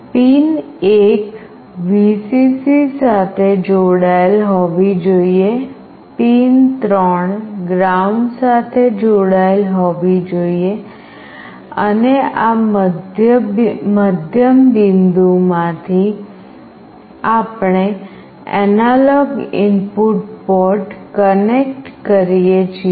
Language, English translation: Gujarati, Pin 1 should be connected to Vcc, pin 3 must be connected to ground, and from this middle point, we connect to the analog input port